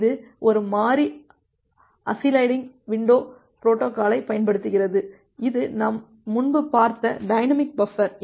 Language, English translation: Tamil, It uses a variable size sliding window protocol, the dynamic buffering that we have looked into earlier